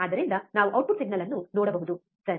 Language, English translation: Kannada, So, that we can see the output signal, alright